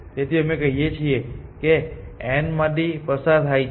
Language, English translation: Gujarati, So, whether we say it is a passing through n prime or a